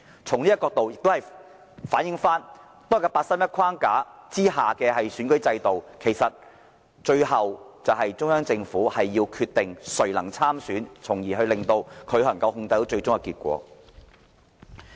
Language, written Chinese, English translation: Cantonese, 這亦反映出八三一框架下的選舉制度，其實就是要讓中央政府決定誰能參選，從而得以控制最終的選舉結果。, It can thus be seen that the election system under the 31 August framework actually seeks to let the Central Government decide who can run in the election thereby controlling the final election results